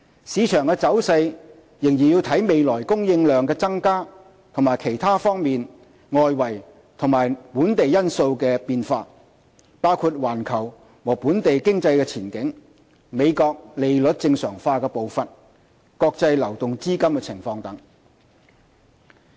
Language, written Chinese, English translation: Cantonese, 市場走勢仍視乎未來供應量增加及其他多方面外圍和本地因素的變化，包括環球和本地經濟前景、美國利率正常化的步伐、國際流動資金情況等。, The market trend is still subject to an increase in future supply and changes of many other external and local factors including the global and local economic outlook the pace of United States interest rate normalization process and the international liquidity situation